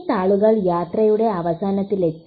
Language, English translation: Malayalam, This leaf has reached the end of its journey